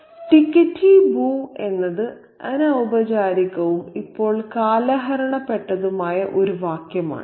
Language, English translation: Malayalam, And ticotie boo is a phrase which is informal and now outdated